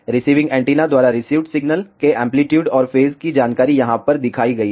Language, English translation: Hindi, The amplitude and phase information of the signal received by the receiving antenna is shown over here